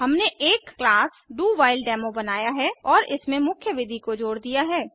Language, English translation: Hindi, We have created a class DoWhileDemo and added the main method to it